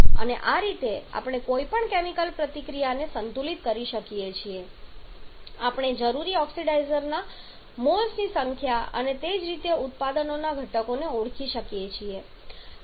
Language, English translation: Gujarati, And this way we can balance any chemical reaction we can identify the number of moles of oxidizer required and similarly the constituents of the products